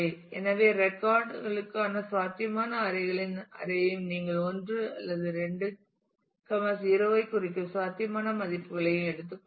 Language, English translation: Tamil, So, take an array of possible array for the records and for the possible values you mark 1 or 2 0